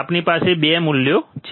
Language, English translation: Gujarati, We have 2 values